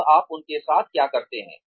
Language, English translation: Hindi, Now, what do you do with them